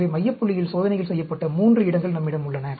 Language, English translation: Tamil, So, we have 3 places where we have the experiments done at the central point